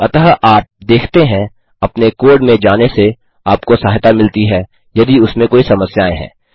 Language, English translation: Hindi, So you see, going through your code helps to see if there are problems